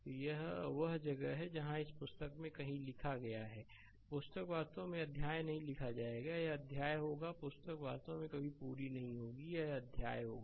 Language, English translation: Hindi, So, it is where I have written somewhere in this book, book is not written actually it will be chapter, it will be chapter the book will never completed actually so, it will be chapter